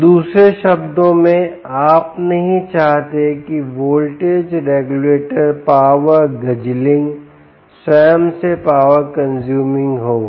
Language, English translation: Hindi, so, in other words, you dont want the voltage regulator to be power guzzling, power consuming itself